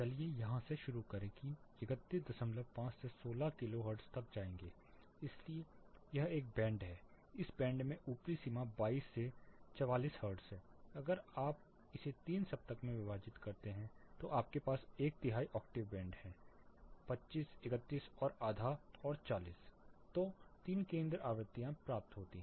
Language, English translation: Hindi, 5 we will go up to 16 kilo hertz, so this is one band in this band the upper limit is 22 to 44 hertz, if you split that further in to three octaves so you have one third octave band where 25 31 and half and 40